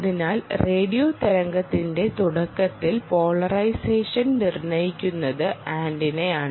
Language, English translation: Malayalam, so initial polarization of a radio wave is determined by the antenna